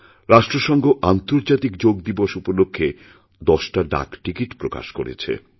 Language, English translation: Bengali, On the occasion of International Day of Yoga, the UN released ten stamps